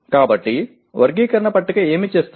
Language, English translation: Telugu, So what does a taxonomy table do